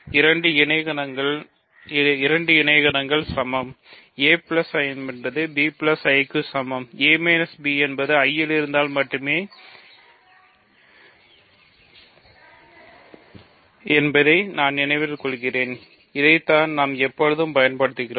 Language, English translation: Tamil, Two cosets are equal; a plus I is equal to b plus I remember if and only if a minus b is in I that is what we have using all the time